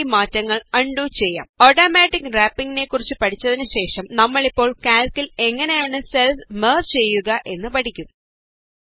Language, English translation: Malayalam, Lets undo the changes After learning about Automatic Wrapping, we will now learn how to merge cells in Calc